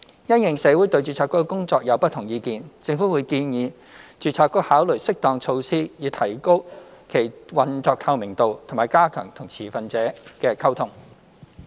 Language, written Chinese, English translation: Cantonese, 因應社會對註冊局的工作有不同意見，政府會建議註冊局考慮適當措施以提高其運作透明度，以及加強與持份者的溝通。, In light of the different views in the community on the Boards work the Government will recommend the Board to consider appropriate measures to enhance its operational transparency and strengthen its communication with stakeholders